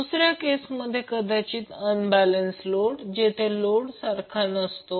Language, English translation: Marathi, Second case might be the case of unbalanced load where the load impedances are unequal